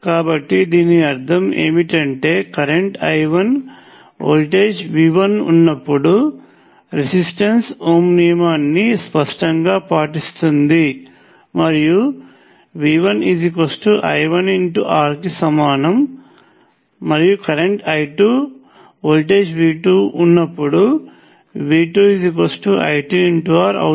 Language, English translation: Telugu, So what it means is let say when the current was I 1, the voltage was V 1 obviously the resistor obeys ohms law and V 1 equals I 1 times R; and the current is I 2, the voltage is V 2 and V 2 equals I 2 times R